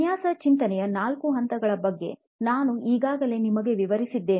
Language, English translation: Kannada, I have already briefed you about four stages of design thinking